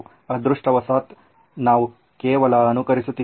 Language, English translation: Kannada, Thankfully we are just simulating